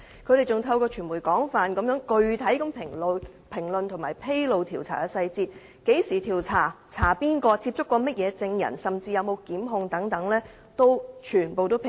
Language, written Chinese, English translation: Cantonese, 他們更透過傳媒廣泛具體評論和披露調查細節，包括何時調查、調查誰人、曾接觸甚麼證人，甚至有否作出檢控等均全部披露。, Through the media they have made very extensive and concrete analyses and disclosure of many investigation details including the time and subject of investigation the witnesses contacted and even the pressing of charges or otherwise